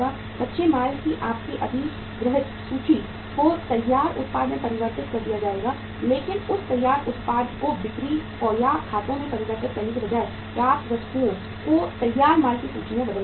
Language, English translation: Hindi, Your acquired inventory of raw material will be converted into finished product but that finished product rather than converting it to sales or accounts receivables will be converted into the inventory of finished goods